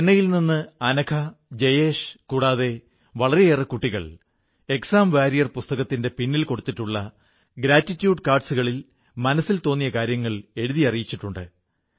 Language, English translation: Malayalam, Anagha, Jayesh and many other children from Chennai have written & posted to me their heartfelt thoughts on the gratitude cards, the post script to the book 'Exam Warriors'